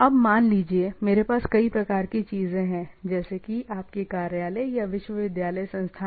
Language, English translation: Hindi, Now, it may so happen that I have number of things, like consider your office or university institute type of things